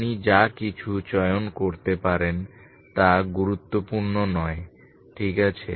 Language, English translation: Bengali, Anything you can choose doesn’t matter ok